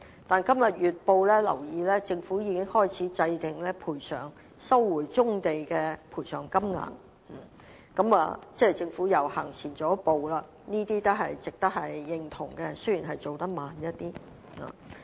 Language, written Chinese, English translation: Cantonese, 我今天看報章時，留意到政府已開始制訂收回棕地的賠償金額，即政府已經走前了一步，這也是值得認同的，雖然進度慢了一點。, I have read from the newspapers today that the Government has started to work on setting the monetary compensation for brownfields resumption . This means that the Government has taken a step forward . This deserves approval even though the progress is a bit too slow